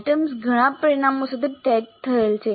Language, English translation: Gujarati, So the items are tagged with several parameters